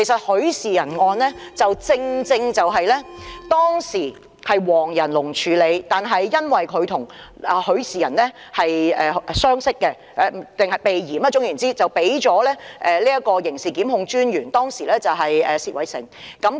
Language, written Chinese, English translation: Cantonese, 許仕仁案當時是由黃仁龍處理，但或許因為他與許仕仁相識，為了避嫌，最終還是交由當時的刑事檢控專員薛偉成處理。, Mr WONG Yan - lung was supposed to handle the Rafael HUI case back then but perhaps because he was acquainted with Rafael HUI and for the sake of avoiding arousing suspicion the then DPP Mr Kevin ZERVOS was tasked to process the case in the end